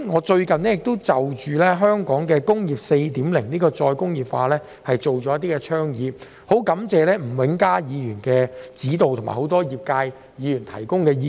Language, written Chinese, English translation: Cantonese, 最近，我就香港的"工業 4.0" 再工業化提出了多項倡議，我很感謝吳永嘉議員的指導及一眾業界議員的意見。, Recently I have proposed a number of initiatives regarding the re - industrialization of Hong Kong under Industry 4.0 . I am very grateful to Mr Jimmy NG for his guidance and Members from various industries for their views